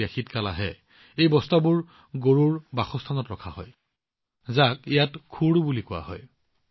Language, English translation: Assamese, When winter comes, these sacks are laid out in the sheds where the cows live, which is called khud here